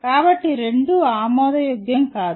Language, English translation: Telugu, So both are unacceptable